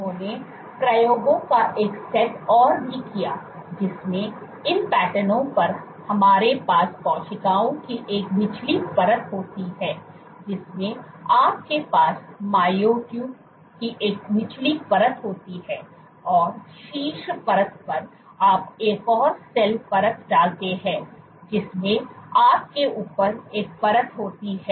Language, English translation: Hindi, They also did one set of experiments in which on these patterns which we have a bottom layer of cells you have a bottom layer of myotubes and on top layer you put one more cell layer you have a top layer